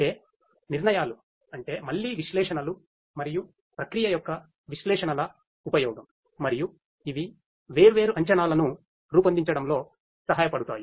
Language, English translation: Telugu, That means, decisions means that again analytics use of analytics and processing and these will help in making different predictions